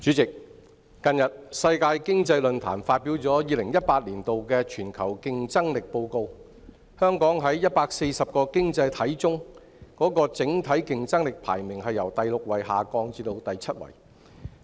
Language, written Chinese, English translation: Cantonese, 主席，近日世界經濟論壇發表2018年的全球競爭力報告，香港在140個經濟體中的整體競爭力排名由第六位下降至第七位。, President the World Economic Forum has recently released the Global Competitiveness Report 2018 . Hong Kong has dropped from the sixth to the seventh place in the overall competitiveness rankings among 140 economies